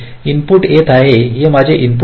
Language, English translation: Marathi, the input is coming, this my input